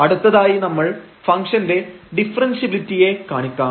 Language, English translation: Malayalam, So, moving next now to show the differentiability of this function